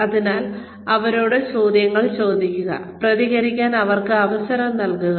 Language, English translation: Malayalam, So ask them questions, and give them a chance to respond